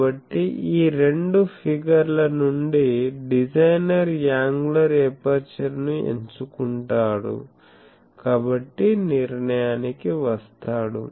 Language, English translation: Telugu, So, from these 2 figure, the designer chooses the angular aperture, so and decides